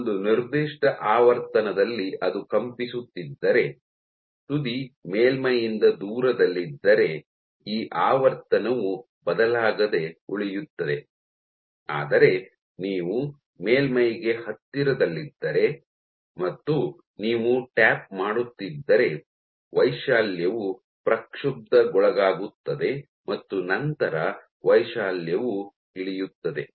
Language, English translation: Kannada, So, if it is vibrating at a given frequency this frequency remains unchanged if the tip is far from the surface, but if you are going close to the surface and you are doing this tap, the amplitude will get perturbed your amplitude will drop